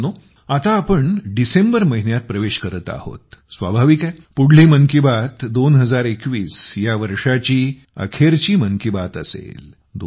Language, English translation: Marathi, It is natural that the next 'Mann Ki Baat' of 2021 will be the last 'Mann Ki Baat' of this year